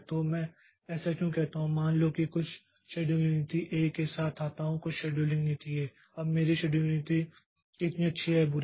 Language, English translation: Hindi, So, why do I say so is that suppose I come up with some new scheduling policy A, okay, some scheduling policy A